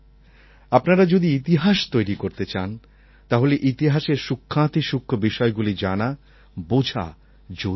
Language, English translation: Bengali, If you want to create history, then it is necessary to understand the nuances of the past